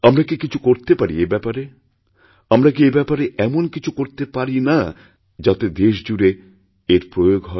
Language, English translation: Bengali, Is there nothing we can do to have this implemented throughout the country, Sir